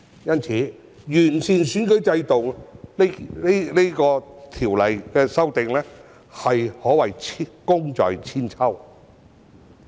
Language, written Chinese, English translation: Cantonese, 因此，完善選舉制度的《條例草案》，可謂功在千秋。, Therefore I would say that this Bill on improving the electoral system has made profound contributions that will last forever